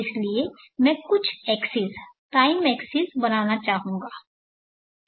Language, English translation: Hindi, So therefore, I would like to draw few access, time axis